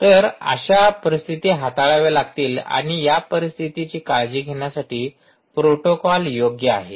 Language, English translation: Marathi, so such situations have to be handled and the protocol is well suited for taking care of these situation